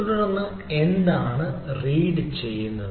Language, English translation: Malayalam, so what, what it is reading